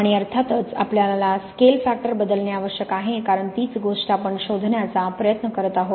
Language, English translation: Marathi, And of course, the scale factor we have to vary because that is the thing we are trying to find